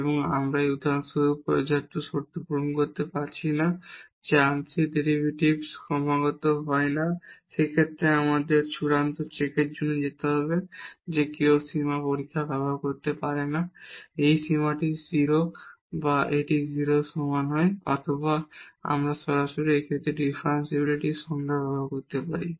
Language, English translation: Bengali, And we are not meeting with the sufficient conditions for example, that the partial derivatives are not continuous In that case we have to go for the final check that one can use the limit test which is often easier to prove that this limit is 0 or it is not equal to 0 or we can directly use the definition of the differentiability in this case